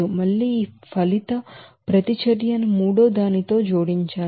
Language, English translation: Telugu, Again, this resulting reaction is to be added with the third one